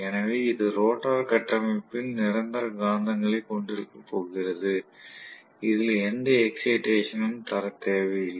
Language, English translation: Tamil, So, it is going to have permanent magnets in the rotor structure, we do not need any excitation